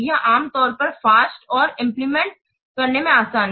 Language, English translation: Hindi, It is usually faster and easier to implement